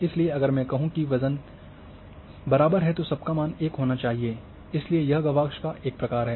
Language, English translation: Hindi, So, if I say the weight is equal all should be 1, so this is one type of design of window